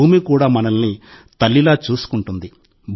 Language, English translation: Telugu, The Earth also takes care of us like a mother